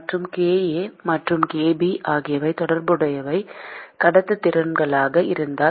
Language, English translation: Tamil, And if kA and kB are the corresponding conductivities